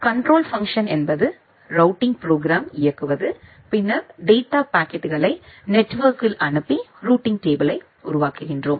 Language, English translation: Tamil, The control function means to run the routing program and then send the data packets over the network and construct the routing table